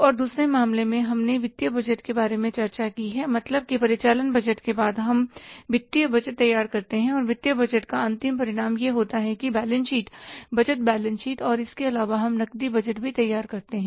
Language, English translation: Hindi, It means after the operating budget we prepared the financial budget and the end result of the financial budget is that is the budgeted balance sheet and apart from that we also prepare the cash budget